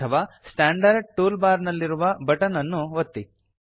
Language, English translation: Kannada, Alternately, click on the button in the standard tool bar